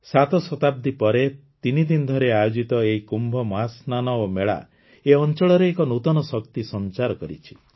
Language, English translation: Odia, Seven centuries later, the threeday Kumbh Mahasnan and the fair have infused a new energy into the region